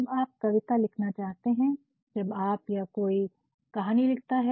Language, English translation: Hindi, When you want to write a poem, when you, when somebody writes a story